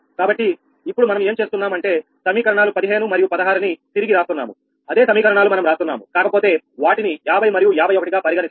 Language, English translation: Telugu, what we are doing is now that rewriting equation fifteen and sixteen, same equation we are rewriting, but numbering again fifty and fifty one here, right